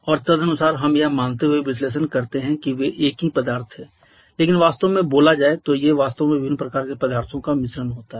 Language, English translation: Hindi, And accordingly we go for analysis by assuming they were single substance but truly speaking they are actually mixture of different kind of substances